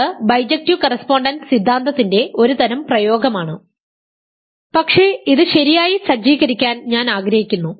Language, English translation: Malayalam, So, now, this is sort of application of the bijective correspondence theorem, but I want to set it up properly